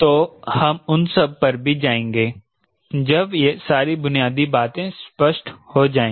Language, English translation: Hindi, so we will visit that once these fundamentals are clear